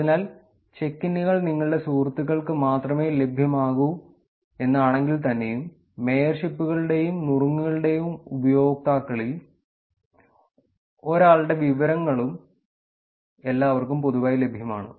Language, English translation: Malayalam, So, if you see check ins are actually available only for your friends, but the list of mayorships, tips and done of users are publicly available to everyone